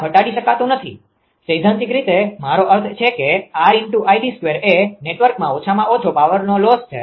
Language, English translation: Gujarati, This cannot minimized; this will be I mean theoretically that R id square actually minimum power loss in the network